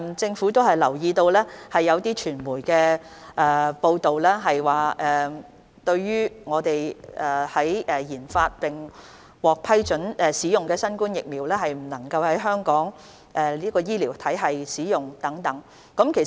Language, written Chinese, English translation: Cantonese, 政府留意到有傳媒報道，國家研發並批准使用的疫苗無法在香港醫療體系使用。, The Government has noted the media report that vaccines developed and approved by our country cannot be used in the Hong Kong healthcare system